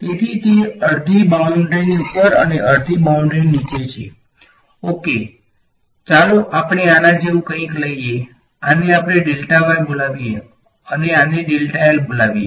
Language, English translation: Gujarati, So, it is half above the boundary half below the boundary ok, let us take something like this let us call this delta y and let us call this delta l